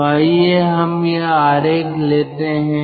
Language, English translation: Hindi, so we will have this kind of a figure